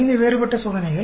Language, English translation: Tamil, Five different experiments